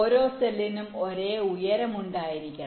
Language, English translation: Malayalam, this cells have this same height